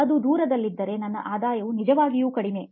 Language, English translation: Kannada, If it’s far away, my revenue is actually low